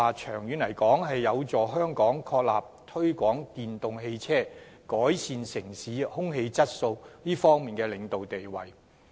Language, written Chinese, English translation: Cantonese, 長遠而言，這將有助香港確立推廣電動汽車，改善城市空氣質素方面的領導地位。, In the long run such a move might help Hong Kong establish its leading position in promoting EVs for improving air quality of the city